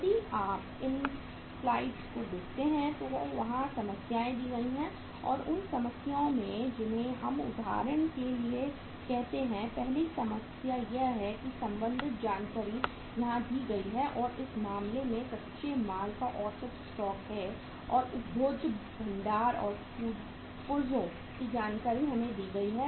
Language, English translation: Hindi, There if you look at the slides the problems are given there and in those problems we are given say for example first problem is that the relevant information are given here as under and in this case uh average stock of raw material is or for a say average stock of the raw material uh and the consumable stores and spares we are given that information